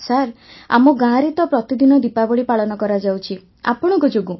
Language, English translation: Odia, Sir, Diwali is celebrated every day in our village because of you